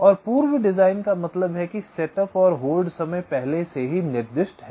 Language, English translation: Hindi, those are already pre designed, and pre designed means the set up and hold times are already specified